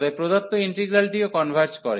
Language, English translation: Bengali, So, hence the given integral this also converges